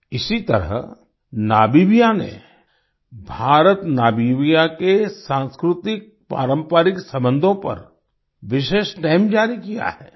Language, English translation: Hindi, Similarly, in Namibia, a special stamp has been released on the IndoNamibian culturaltraditional relations